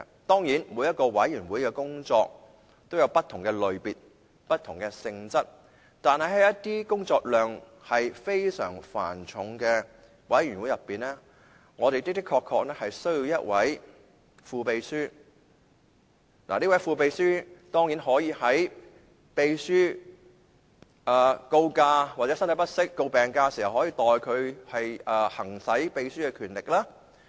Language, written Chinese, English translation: Cantonese, 當然，每個委員會的工作也有不同的類別和性質，但是，在一些工作量非常繁重的委員會中，我們的確需要一位副秘書，而這位副秘書可以在秘書告假或身體不適要請病假時，代他行使秘書的權力。, It is true that the type and nature of work in each committee are different from the others . But in certain committees with very heavy workload we surely need a deputy clerk who can exercise the power on behalf of the clerk when the latter is on leave or sick leave